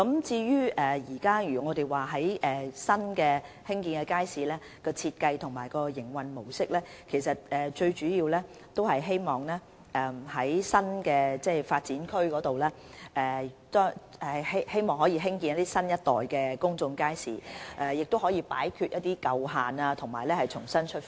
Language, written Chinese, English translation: Cantonese, 至於新興建的街市的設計和營運模式，我們主要希望在新發展區中興建新一代的公眾街市，務求擺脫舊限，重新出發。, As for the design and modus operandi of newly constructed public markets our main objective is to construct a new generation of public markets in new development areas endeavour to remove the past constraints and head in a new direction